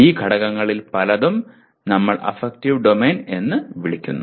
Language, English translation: Malayalam, And many of these factors fall into the, what we are calling as affective domain